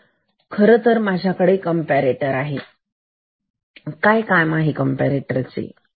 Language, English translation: Marathi, So, I actually have this comparator, what is the task of this comparator